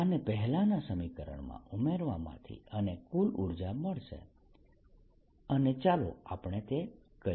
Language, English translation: Gujarati, this add it to the previous expression will give me the total energy, and let us do that